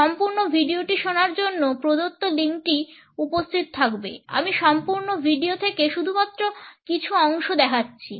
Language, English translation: Bengali, The given link can also be further exist in order to listen to the complete video I am showing only certain excerpts from the complete one